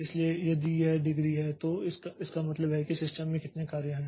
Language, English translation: Hindi, So, if this degree of, so this means that how many jobs are there in the system